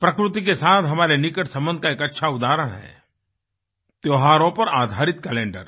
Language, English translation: Hindi, A great example of the interconnection between us and Nature is the calendar based on our festivals